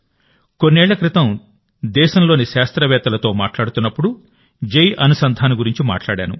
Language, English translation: Telugu, A few years ago, while talking to the scientists of the country, I talked about Jai Anusandhan